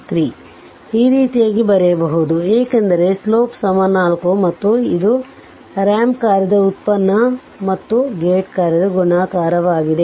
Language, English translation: Kannada, This way you can write because slope is 4, slope is 4 and it is a product of ramp function and a gate function right